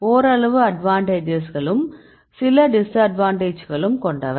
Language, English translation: Tamil, So, somewhat advantages some disadvantages right